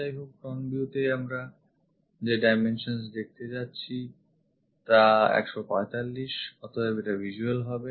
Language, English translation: Bengali, However, in the front view the dimensions what we are going to see is 145; so, this one will be visible